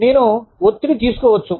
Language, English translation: Telugu, I can take stress